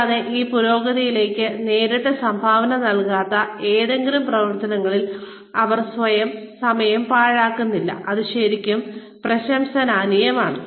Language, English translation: Malayalam, And, they do not waste any time, on any activities, that are not directly contributing to this progression, which is really commendable